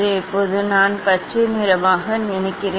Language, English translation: Tamil, Now, I will go for the I think green colour